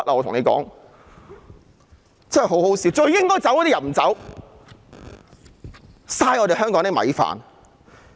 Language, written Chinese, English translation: Cantonese, 可笑的是最應該走的人不走，浪費香港的米飯。, The funny part is that the very person who should have gone has stayed wasting the resources of Hong Kong